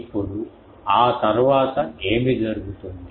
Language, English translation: Telugu, Now, after that what happens